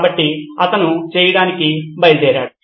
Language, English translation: Telugu, So that was what he set out to do